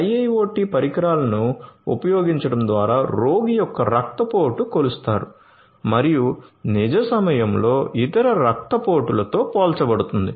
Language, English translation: Telugu, Using IIoT devices the patient’s blood pressure is measured and compared with the other blood pressures in real time